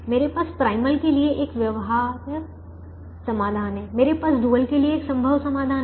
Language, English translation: Hindi, i have a feasible solution to the primal, i have a feasible solution to the dual